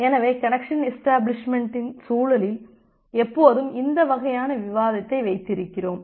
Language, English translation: Tamil, So, in the context of connection establishment, we always has this kind of debate